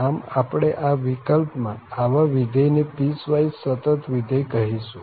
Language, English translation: Gujarati, So, if this is the case, we call such a function a piecewise continuous function